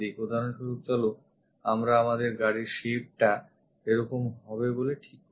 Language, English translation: Bengali, For example, let us consider our car is of this kind of shape